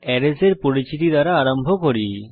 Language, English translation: Bengali, Let us start with the introduction to Array